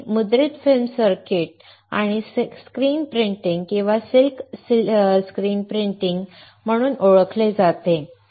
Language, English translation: Marathi, Its known as printed film circuits or screen printing or silk screen printing